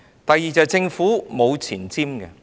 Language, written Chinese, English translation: Cantonese, 第二點，政府沒有前瞻性。, The second point is the lack of vision of the Government